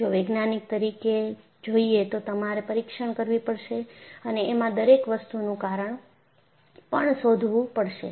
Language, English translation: Gujarati, If you are a scientist, you will have to investigate and find out a reason for everything